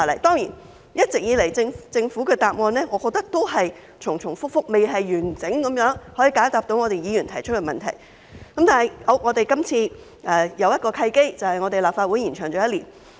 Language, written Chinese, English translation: Cantonese, 當然，我認為政府一直以來的答案都是重重複複，未能完整解答議員提出的問題，但我們今次有一個契機，便是立法會任期延長了一年。, Of course I think the answers provided by the Government have all along been repetitive and it has failed to offer comprehensive answers to Members questions . Yet we have an opportunity this time as the term of the Legislative Council has been extended for one year